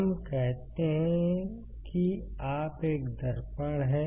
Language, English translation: Hindi, So, let us say you have a mirror